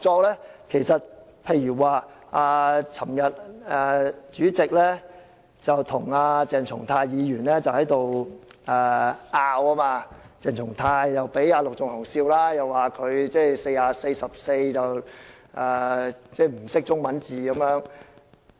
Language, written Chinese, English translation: Cantonese, 例如立法會主席昨天與鄭松泰議員爭拗，鄭議員又被陸頌雄議員取笑，說他連《議事規則》第44條的中文字都不懂。, Let me give some examples . Yesterday the President of the Legislative Council argued with Dr CHENG Chung - tai; and Mr LUK Chung - hung mocked Dr CHENG Chung - tai for failing to understand the meaning of some Chinese characters in Rule 44 of the Rules of Procedure RoP